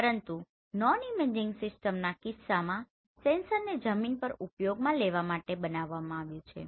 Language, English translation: Gujarati, So this is the imaging system, but in case of non imaging system part of the sensor has been designed to use in the ground